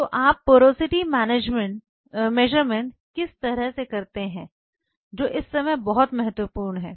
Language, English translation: Hindi, How you do the porosity measurements that is very important now for the